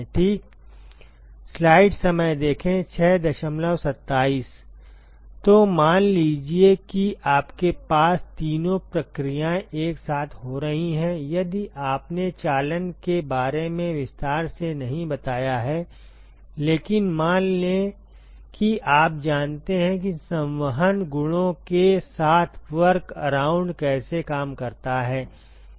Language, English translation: Hindi, So, suppose you have all three processes occurring simultaneously; if you not dealt with conduction in detail, but let us say assume that you know how to work a workaround with convection properties